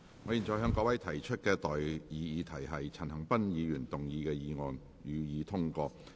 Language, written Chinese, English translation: Cantonese, 我現在向各位提出的待議議題是：陳恒鑌議員動議的議案，予以通過。, I now propose the question to you and that is That the motion moved by Mr CHAN Han - pan be passed